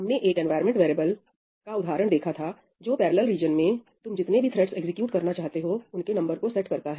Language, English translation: Hindi, we saw an example of an environment variable – ‘omp num threads’, right, that sets the number of threads that you want to execute in the parallel region